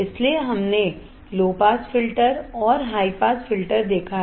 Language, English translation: Hindi, So, we have seen low pass filter and high pass filter